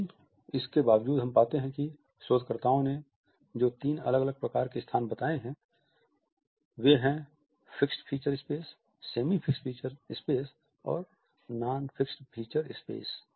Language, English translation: Hindi, But despite it we find that the three different types of space which researchers have pointed out are the fixed feature space, the semi fixed feature space and the non fixed feature space